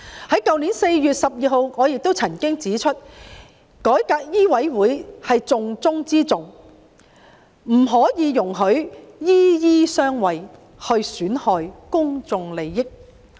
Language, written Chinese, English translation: Cantonese, 去年4月12日，我也曾經指出，改革醫委會是重中之重，不可以容許"醫醫相衞"，損害公眾利益。, On 12 April last year I also pointed out that reforming MCHK was of paramount importance whereas doctors harbouring each other should not be allowed as it would undermine public interest